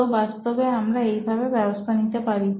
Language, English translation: Bengali, So we could actually have an arrangement